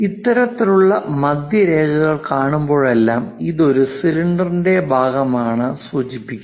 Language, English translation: Malayalam, Whenever we see such kind of center lines, that indicates that perhaps it might be a part of cylinder